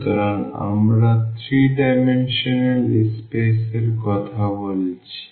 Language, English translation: Bengali, So, we are talking about the 3 dimensional space